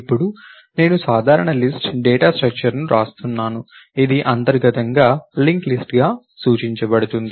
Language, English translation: Telugu, Now, I am writing a generic list data structure, which is internally represented as a link list